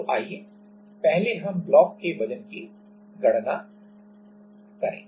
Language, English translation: Hindi, So, let us first calculate the weight of the block